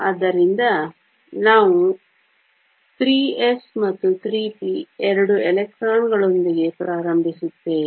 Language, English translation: Kannada, So, we start with the 3 s and the 3 p two electrons in them